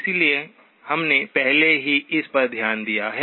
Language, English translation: Hindi, So we have already looked at this